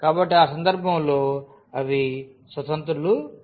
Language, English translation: Telugu, So, they are not independent in that case